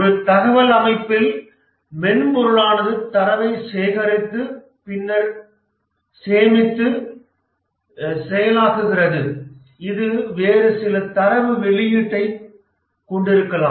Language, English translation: Tamil, In a information system the software the software collects data, stores data, then processes this data to generate some statistics and maybe some other data output